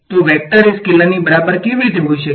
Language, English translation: Gujarati, So, how can a vector be equal to scalar